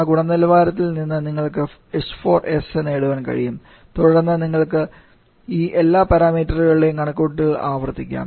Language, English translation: Malayalam, You can get the h4s, then you can repeat the calculation of all these parameters